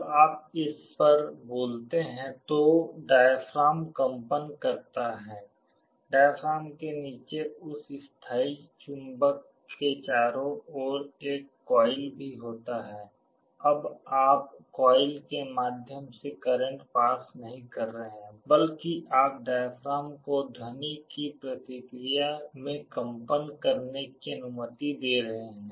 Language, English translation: Hindi, When you speak on it the diaphragm vibrates, there is also a coil around the diaphragm around that permanent magnet, now you are not passing a current through the coil rather you are allowing the diaphragm to vibrate in response to the sound